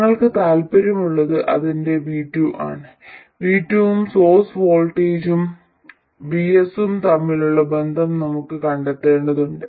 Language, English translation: Malayalam, We have to find a relationship between V2 and the source voltage VS